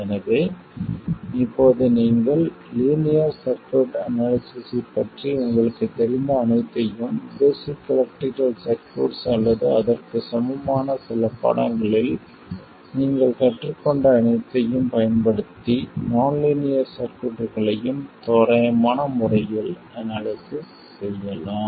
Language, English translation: Tamil, So, now you can use everything that you know about linear circuit analysis, whatever you learned in basic electrical circuits or some equivalent course, to analyze nonlinear circuits as well in an approximate way